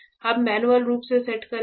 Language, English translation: Hindi, We will; we will set manually